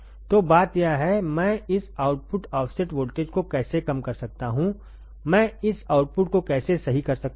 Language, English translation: Hindi, So, the point is; how can I minimize this output offset voltage how can I minimize this output also right